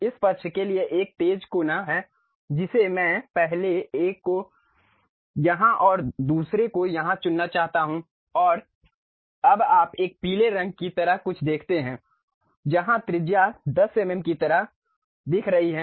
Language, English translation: Hindi, For this side this side there is a sharp corner I would like to pick the first one here and the second one here and now you see something like a yellow color where radius is showing 10 mm kind of fillet